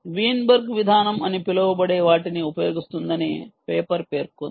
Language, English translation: Telugu, the paper says it uses what is known as a weinberg approach